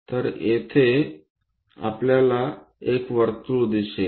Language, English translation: Marathi, So, here we will see a circle